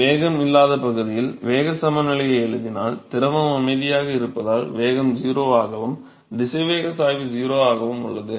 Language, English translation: Tamil, So, if you write the momentum balance in the quiescent region, where there is no velocity velocity is 0 because of fluid is at rest and the velocity gradient is 0